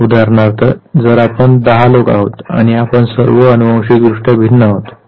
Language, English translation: Marathi, So, if say we are say some where 10 of us are there and we all are genetically different